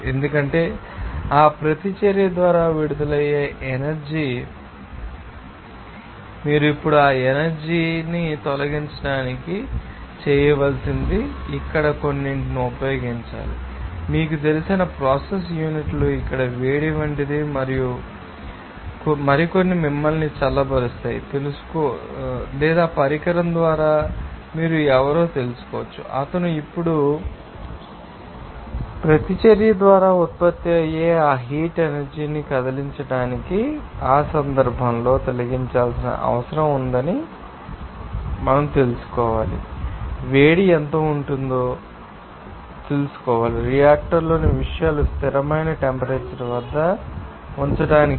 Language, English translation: Telugu, Because whatever energy will be you know released by that reaction you have to remove that energy now, to removing that energy you have to do you have to use some you know that process unit like heat at here or you can see that some other cooling you know or device by who is you can you know that he moved that heat energy which is produced by the reaction now, in that case, you have to know what will be the amount of heat to be you know that required to be you know removed to keep the contents in the reactor at a constant temperature